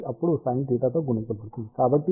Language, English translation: Telugu, So, this will be now multiplied by sin theta